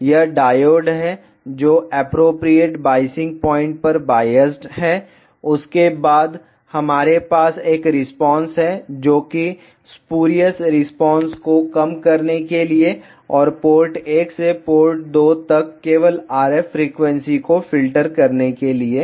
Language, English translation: Hindi, This is are diode which is biased at appropriate biasing point and after that we have an IF filter to reduce the spurious response and to filter only the if frequency from port 1 to port 2